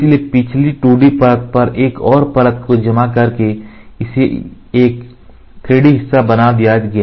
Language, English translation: Hindi, So, by curing one layer over the previous 2D layer he got a 3D part made